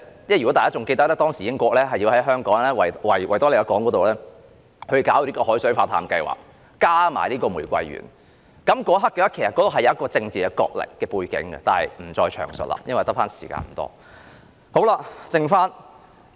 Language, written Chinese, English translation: Cantonese, 如果大家仍然記得，英國當時是想在維港推行海水化淡計劃，再加上玫瑰園，其實當中是有一個政治角力的背景，但我不再詳述了，因為餘下的發言時間不多。, If you still remember Britain intended to take forward a desalination project in the Victoria Harbour back then coupled with the Rose Garden project . In fact there were political contests in the background but I will not go into details since I do not have much speaking time left